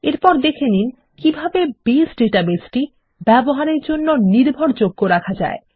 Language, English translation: Bengali, Next, let us see how we can keep the Base database reliable for use